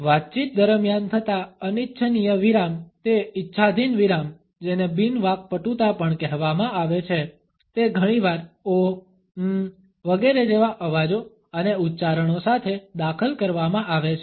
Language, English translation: Gujarati, During a conversation those unintentional pauses those arbitrary pauses which are also called non fluencies are often inserted with sounds and utterances like ‘oh’, ‘uumm’ etcetera